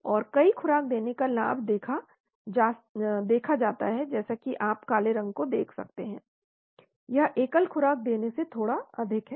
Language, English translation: Hindi, And the advantage of given multiple dose is seen as you can look at the black colour, it is slightly higher than giving single dose